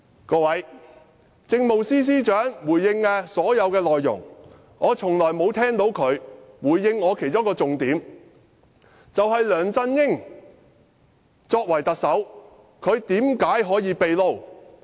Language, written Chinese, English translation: Cantonese, 各位，政務司司長沒有回應我提出的其中一個重點，就是梁振英作為特首，為何可以"秘撈"？, Honourable colleagues the Chief Secretary has not responded to one of my key questions that is why is it possible for LEUNG Chun - ying to moonlight as the Chief Executive?